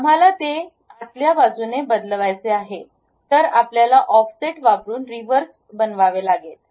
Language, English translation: Marathi, We want to change that to inside, what we have to do is use Offset now make it Reverse